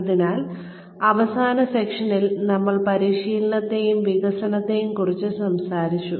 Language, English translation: Malayalam, So, in the last session, we were talking about training and development